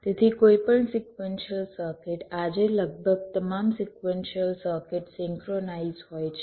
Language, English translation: Gujarati, so any sequential circuit, all, most all the sequential circuit today, are synchronise in nature